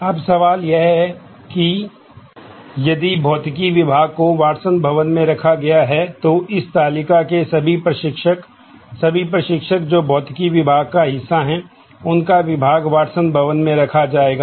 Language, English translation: Hindi, Now, the question is; so, Physics department, if it is housed in the Watson building then, all the instructors in this table, all the instructors who are part of the Physics department, would have their department housed in the Watson building